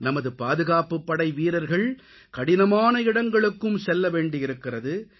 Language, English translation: Tamil, Jawans from our security forces have to perform duties in difficult and remote areas